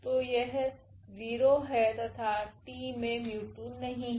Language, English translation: Hindi, So, here 0 and also this t does not have mu 2